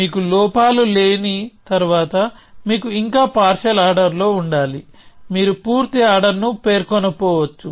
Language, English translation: Telugu, Once you have no flaws, you must still have a partial order; you may not have specified a complete order